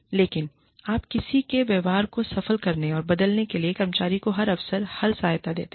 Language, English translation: Hindi, But, you give the employee, every opportunity, and every support, to succeed, and change one's behavior